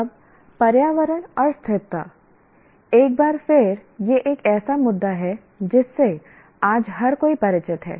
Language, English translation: Hindi, Now, environment and sustainability, once again, this is an issue that everyone today is familiar with